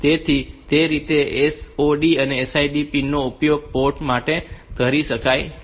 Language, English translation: Gujarati, So, that way this SOD and SID pins are used as ports